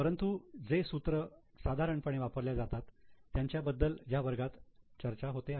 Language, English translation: Marathi, But the formulas which are normally used are being discussed in the class